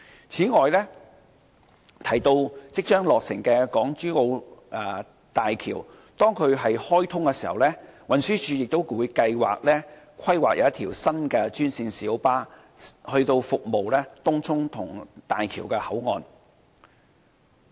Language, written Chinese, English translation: Cantonese, 此外，提到即將落成的港珠澳大橋，當港珠澳大橋開通時，運輸署亦計劃規劃一條新專線小巴路線，以服務東涌和大橋口岸。, In addition as regards the imminent completion of the Hong Kong - Zhuhai - Macao Bridge HZMB TD has planned a new GMB route serving Tung Chung and the Hong Kong Boundary Crossing Facilities HKBCF upon the opening of the HZMB